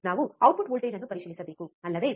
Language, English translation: Kannada, We have to check the output voltage, right isn't it